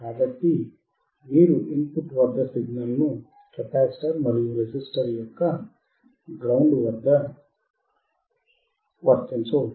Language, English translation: Telugu, So, you can apply signal at the input of the capacitor and ground of the resistor